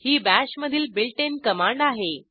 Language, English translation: Marathi, It is a built in command in Bash